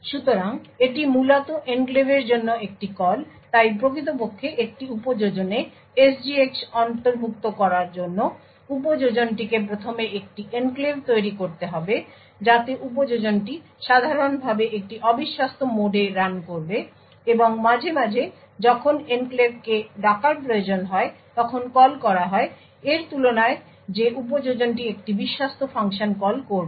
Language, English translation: Bengali, So this essentially is a call to the enclave, so in order to actually incorporate SGX in an application the application would first need to create an enclave so the application would typically run in a untrusted mode and occasionally when there is enclave needs to be called rather than the application needs to call a trusted function